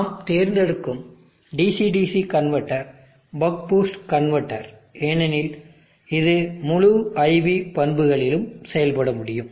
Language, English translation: Tamil, The DC DC convertor where we will choose is the buck boost converter, because it is able to operate on the entire IV characteristic